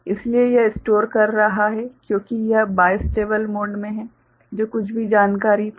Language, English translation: Hindi, So, it is storing because it is in bistable mode whatever information it had